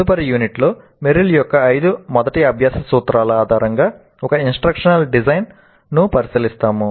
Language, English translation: Telugu, And in the next unit we will look at an instructional design based on Merrill's 5 first principles of learning